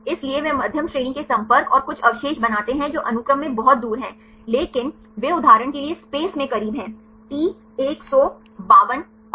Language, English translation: Hindi, So, they make medium range contacts and some residues which are far away in the sequence, but they are close in space for example, T 152 and